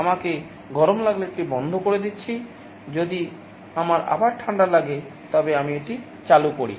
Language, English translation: Bengali, I am turning it off if I feel hot, I turn it on if I feel cold again, I turn it on again